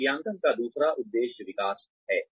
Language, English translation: Hindi, The second aim of appraisal is Development